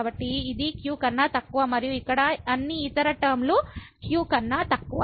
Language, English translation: Telugu, So, this is less than and all other terms here less than